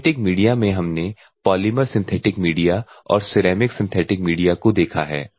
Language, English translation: Hindi, We have seen the polymers synthetic medium then the ceramic synthetic medium